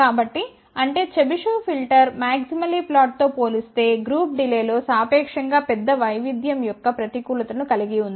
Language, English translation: Telugu, So; that means, the Chebyshev filter also has a disadvantage of a relatively larger variation in the group delay compared to maximally flat